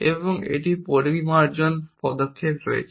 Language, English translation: Bengali, We have a series of refinements steps